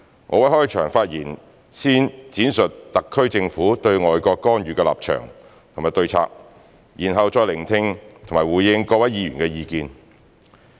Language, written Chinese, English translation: Cantonese, 我會在開場發言先闡述特區政府對外國干預的立場及對策，然後再聆聽及回應各位議員的意見。, I will first talk about the SAR Government stance and strategies on foreign countries interference in my opening speech and then listen and respond to Members opinions